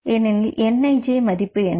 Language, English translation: Tamil, So, what is the value of nij here